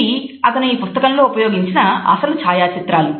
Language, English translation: Telugu, They are the original photographs which he had used in this book